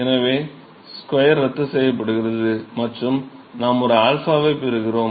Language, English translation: Tamil, So, the square cancels of and we get an alpha